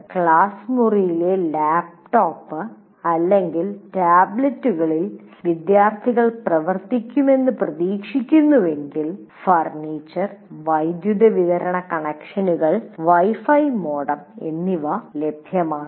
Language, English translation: Malayalam, If the students are expected to work with the laptops or tablets, in the classroom, the furniture, power supply connections and Wi Fi modems should be made available